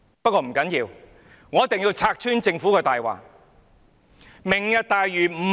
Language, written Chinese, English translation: Cantonese, 不過，不要緊，我一定要拆穿政府的謊言。, However it does not matter and I have to expose the Governments lie